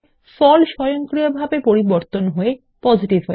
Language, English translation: Bengali, The result automatically changes to Positive